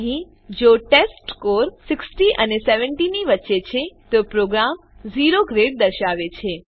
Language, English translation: Gujarati, Here if the testScore is between 60 and 70 the program will display O Grade